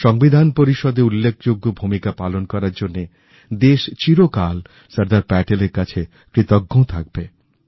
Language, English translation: Bengali, Our country will always be indebted to Sardar Patel for his steller role in the Constituent Assembly